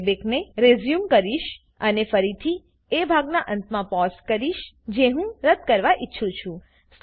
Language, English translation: Gujarati, I will resume the playback and again pause at the end of the part that I want to delete